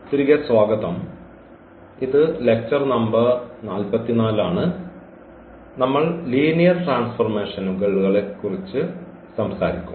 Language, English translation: Malayalam, Welcome back and this is lecture number 44 and we will be talking about Linear Transformations